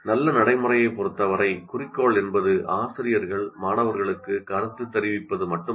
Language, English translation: Tamil, Now, with respect to good practice, the goal is not merely to give feedback to teacher giving feedback to the students